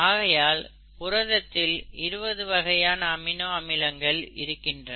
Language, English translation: Tamil, This is how a protein gets made from the various amino acids